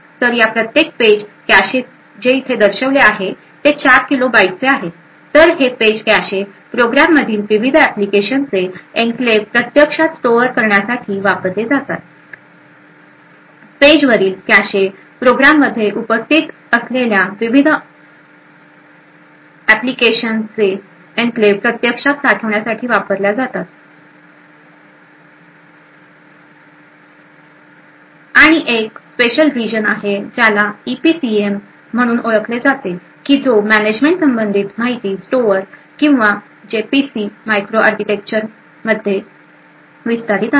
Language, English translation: Marathi, So each of this page caches which is shown over here is of 4 kilo bytes so this page caches are used to actually store the enclaves of the various applications present in the program and also there is some management related information which is stored in a special region known as the EPCM or which expands to EPC Micro Architecture